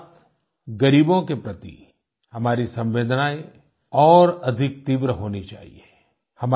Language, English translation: Hindi, In addition, our sympathy for the poor should also be far greater